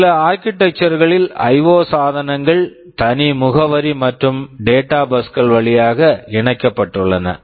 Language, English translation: Tamil, And in some architectures the IO devices are also connected via separate address and data buses